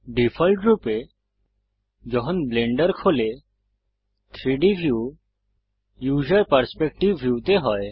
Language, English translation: Bengali, By default, when Blender opens, the 3D view is in the User Perspective view